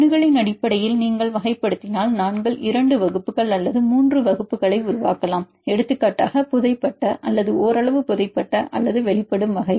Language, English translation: Tamil, If you classify based on accessibility there also we can make 2 classes or 3 classes for example, buried or partially buried or exposed and exposed right